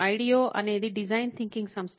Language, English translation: Telugu, Ideo is the design thinking firm